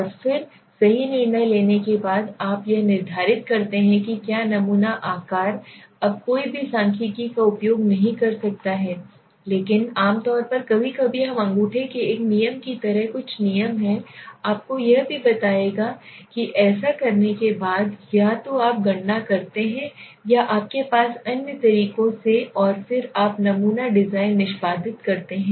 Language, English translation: Hindi, And then after deciding right you determine what is the right sample size, now there are no one can use statistic but there but generally sometimes we have some thumbs rules like in a rule of thumb where we decided what is a number samples I will tell you also that, so finally after doing this either you calculate or you have or the other methods and then you execute the sampling design